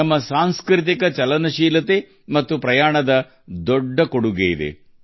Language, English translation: Kannada, Our cultural mobility and travels have contributed a lot in this